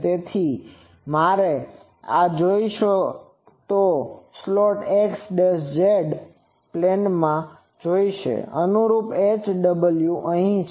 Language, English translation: Gujarati, So, I will have to have this, you see the slot is in the z and x, x z plane so; the corresponding h and w are here